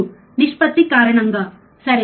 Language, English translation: Telugu, Because of the ratio, alright